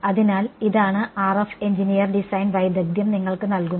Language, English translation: Malayalam, So, this is what the RF engineer design skill and gives it to you